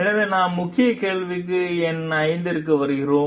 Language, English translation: Tamil, So, then we come to the key question 5